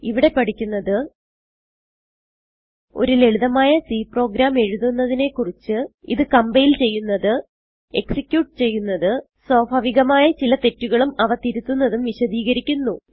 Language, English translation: Malayalam, In this tutorial, we will learn How to write a simple C program How to compile it How to execute it We will also explain some common errors and their solutions